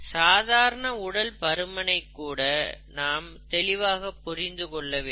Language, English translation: Tamil, Even the simple things, such as obesity is not understood properly